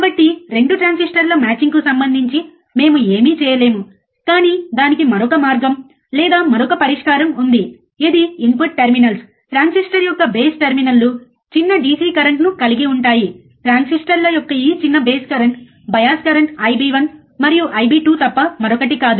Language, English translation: Telugu, So, we cannot do anything regarding the matching of the 2 transistors, but there is another way or another solution to do that is the input terminals which are the base terminal transistors do not current small DC, this small base currents of the transistors nothing but the bias currents I B 1 and I B 2